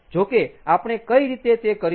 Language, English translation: Gujarati, so, however, how are we going to do it